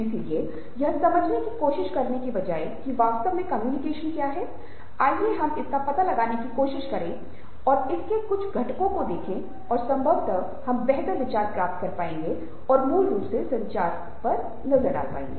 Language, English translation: Hindi, so instead of trying to identify what exactly communication is, let us try to explore it and look at some of it's components and probably will get a better idea and agreed for what communication basically means